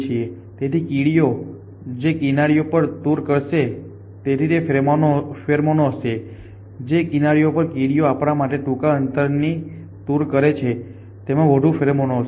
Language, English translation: Gujarati, So, edges on which ants will travel will have pheromone edges on which ants will travel to fine short to us will have more pheromone